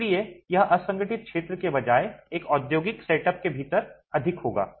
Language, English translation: Hindi, So, this would be more within an industrial setup rather than in the unorganized sector